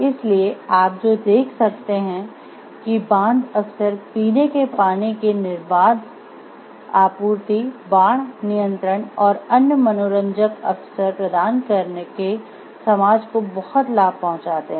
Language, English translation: Hindi, So, what you can see dams often lead to a great benefit to the society by providing stable supplies of drinking water, flood control and recreational opportunities